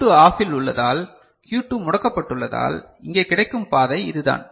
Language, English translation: Tamil, Because Q2 is OFF, because Q2 is OFF, so the path available over here is this; is it fine